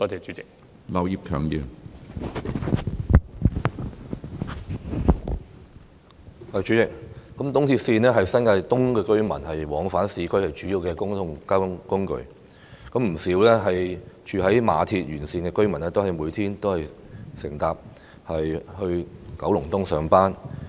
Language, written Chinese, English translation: Cantonese, 主席，東鐵線是新界東居民往返市區的主要公共交通工具，不少居住於馬鞍山線沿線地區的居民每天都乘搭鐵路前往九龍東上班。, President ERL is the main means of public transport of the residents in New Territories East for going to and from the urban areas . Many residents living in areas along Ma On Shan Line go to Kowloon East to work by train every day